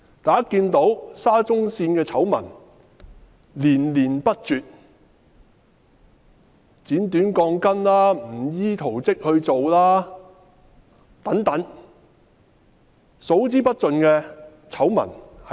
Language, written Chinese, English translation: Cantonese, 大家看到沙中線的醜聞連連不絕，包括剪短鋼筋、工程不依圖則等，不斷爆出數之不盡的醜聞。, Everyone can see that the SCL project has been plagued with a series of scandals include the cutting short of steel bars and failing to conform to the technical drawings